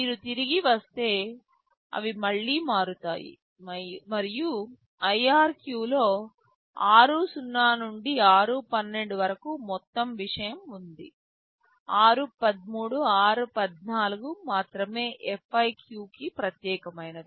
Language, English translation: Telugu, If you come back, they will again change and in IRQ r0 to r12 the whole thing is there, only r13 r14 are specific to FIQ